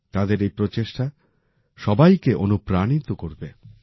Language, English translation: Bengali, Their efforts are going to inspire everyone